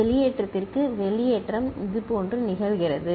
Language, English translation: Tamil, And for discharge, discharge happens like this